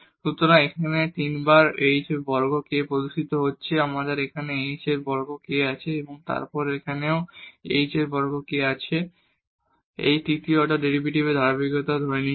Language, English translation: Bengali, So, 3 times h square k is appearing here we have h square k and then here also we have h square k and assuming the continuity of these third order derivatives